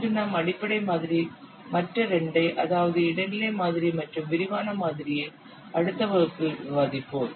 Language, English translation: Tamil, Today we will discuss only the basic model and other two intermediate model and detailed model we will discuss in the next class